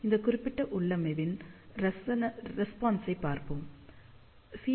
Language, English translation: Tamil, So, let us see the response of this particular configuration